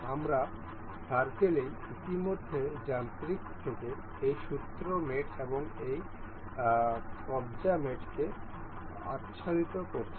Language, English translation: Bengali, We all we have already have covered this screw mate and this hinge mate from mechanical